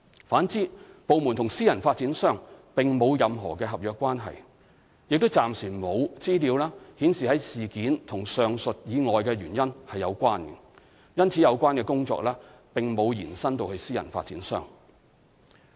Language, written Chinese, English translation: Cantonese, 反之，部門與私人發展商並沒有任何合約關係，亦暫時沒有資料顯示事件與上述以外的原因有關，因此有關的工作並沒有延伸至私人發展商。, On the contrary since there was no contractual relationship between the department and the private developer and there was presently no information to indicate that the incident was related to reasons other than the aforementioned the relevant effort was not extended to the private developer